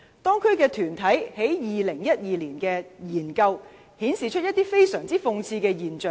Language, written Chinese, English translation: Cantonese, 當區團體在2012年的研究，顯示一些非常諷刺的現象。, A study conducted by a local group in 2012 revealed some most ironic phenomena